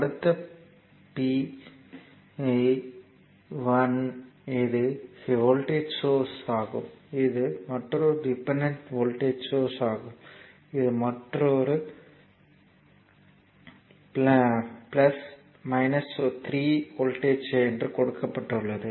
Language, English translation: Tamil, That p power, power p 1 this is a voltage source right this at this is another dependent voltage source and this is another, another source is there, but the terminal plus minus 3 voltage given